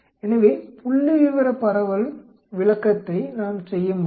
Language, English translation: Tamil, So, we can do statistical distribution interpreting